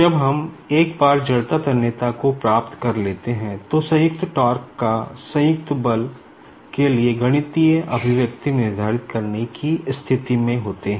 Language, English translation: Hindi, So, it is a bit difficult to determine the inertia tensor